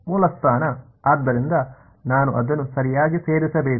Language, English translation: Kannada, Origin so I should include it right